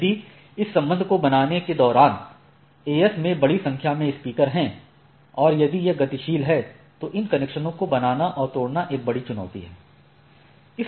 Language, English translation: Hindi, If there are a large number of speakers within the AS making this connection and if it is dynamic then making and breaking these connections become a major challenge